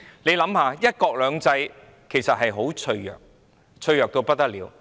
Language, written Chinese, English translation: Cantonese, 大家想想，"一國兩制"原則其實很脆弱，脆弱到不得了。, Let us think about it . The principle of one country two systems is actually very fragile more fragile than we can imagine